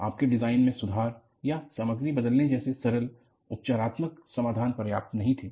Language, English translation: Hindi, Your simple remedial solution like improving the design or changing material was not sufficient